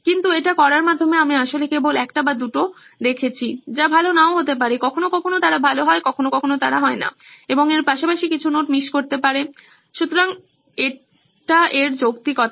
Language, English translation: Bengali, B ut, by doing that I am actually only looking at one or two which may not be good, sometimes they are good, sometimes they are not, and may have missed a few notes as well, so this is the rationale in this